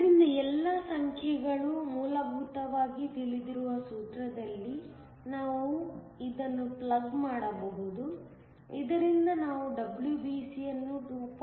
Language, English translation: Kannada, So, we can plug this in the formula all the numbers are essentially known; from which, we can calculate WBC to be equal to 2